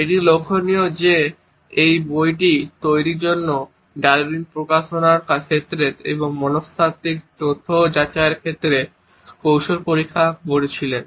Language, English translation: Bengali, It is interesting to note that for the preparation of this book Darwin had experimented technique in terms of publication and verifying the psychological facts